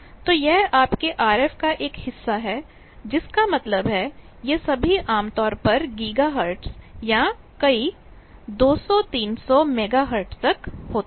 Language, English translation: Hindi, So, this is part of your RF that means, these are all at typically gigahertz or several 200, 300 megahertz sort of thing